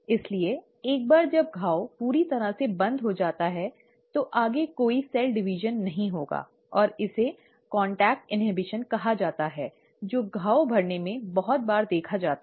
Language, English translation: Hindi, So once the wound has been completely closed, there will not be any further cell division, and this is called as ‘contact inhibition’, which is very often seen in wound healing